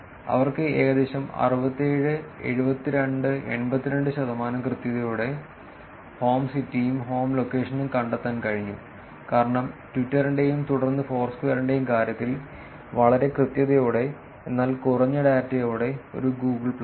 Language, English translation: Malayalam, And they were able to actually show that about 67, 72 and 82 percent with that accuracy they were able to find out the home city, and home location, for, with a high accuracy in terms of Twitter and then Foursquare, but with less data in a Google plus